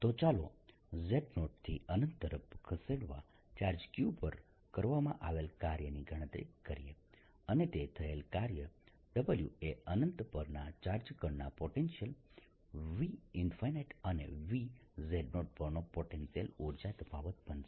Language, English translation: Gujarati, so let us calculate the work done in moving, work done in moving charge q from z zero to infinity, and that work done, w is going to be the potential energy difference of the charge particle at infinity, minus v at z zero